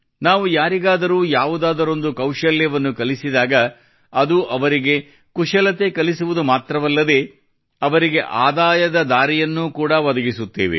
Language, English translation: Kannada, When we teach someone a skill, we not only give the person that skill; we also provide a source of income